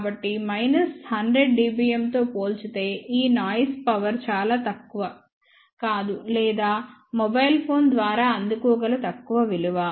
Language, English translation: Telugu, So, this noise power is not negligible in comparison to minus 100 dBm or even lower value which can be received by the mobile phone ok